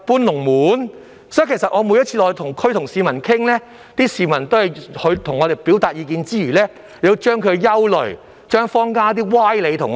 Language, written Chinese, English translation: Cantonese, 由此可見，我每次落區與市民談話時，他們在向我表達意見之餘，亦會把他們的憂慮及坊間的一些謬論告訴我們。, From this you will see that whenever I visit local neighbourhoods to talk to members of the public they will tell us their worries as well as some of the fallacies in local communities while expressing their views to me